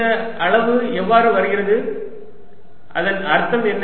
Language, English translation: Tamil, how does this quantity come about and what does it mean